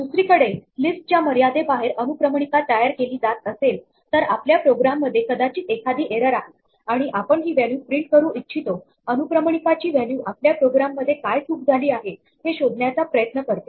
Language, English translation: Marathi, On the other hand if a list is being indexed out of bounds there is probably an error in our program, and we might want to print out this value the value of the index to try and diagnose what is going wrong with our program